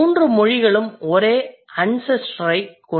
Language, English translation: Tamil, So, all the three languages, they have the same ancestor